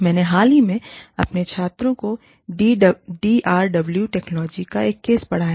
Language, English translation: Hindi, I recently taught, a case on DRW Technologies, to my students